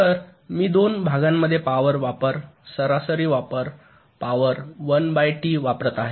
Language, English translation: Marathi, so i am showing the power consumption average power consumption one by two, in two parts